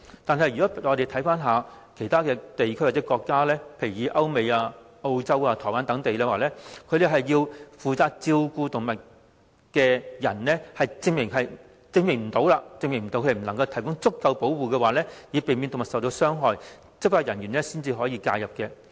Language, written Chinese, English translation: Cantonese, 反觀其他地區或國家，如歐美、澳洲、台灣等地，只要負責照顧動物的人無法證明能提供足夠保護，以避免動物受到傷害，執法人員便可介入。, On the contrary in places or countries such as Europe the United States Australia or Taiwan if the animal carer cannot prove that he can provide sufficient protection for the animal to prevent it from being harmed law enforcement agents can intervene